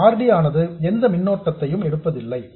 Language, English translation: Tamil, This RD doesn't draw any current